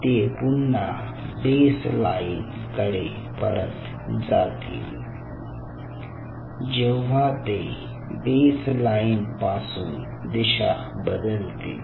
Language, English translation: Marathi, they will deflect from the baseline, they will go back to the baseline